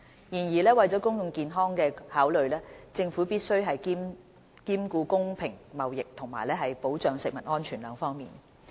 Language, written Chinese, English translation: Cantonese, 然而，為了公共健康的考慮，政府須兼顧公平貿易和保障食物安全兩方面。, However for public health considerations it is imperative that the Government gives due consideration to both fair trade and food safety